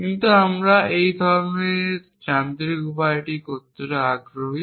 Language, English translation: Bengali, But we have also the same time interested in doing it in a mechanical way